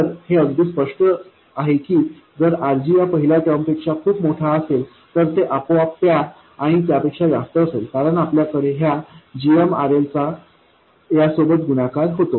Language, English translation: Marathi, So it is very obvious that if RG is much more than this first term, it will be automatically more than that one and that one, because you have this GMRL multiplying that